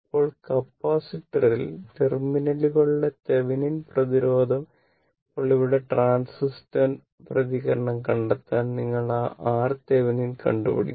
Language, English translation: Malayalam, Now, the Thevenin resistance at the capacitor terminals are now here to find out the transient response; you have to find out that R Thevenin right